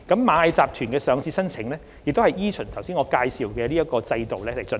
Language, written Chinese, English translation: Cantonese, 螞蟻集團的上市申請亦依循上述的制度進行。, The listing application of Ant Group was also processed in accordance with the above mentioned mechanism